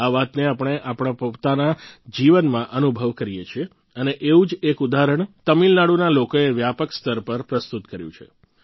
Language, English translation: Gujarati, We experience this in our personal life as well and one such example has been presented by the people of Tamil Nadu on a large scale